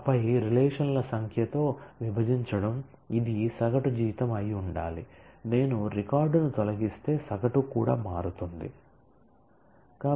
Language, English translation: Telugu, And then dividing it by the number of relations this has to be the average salary certainly if I remove a record then the average itself will change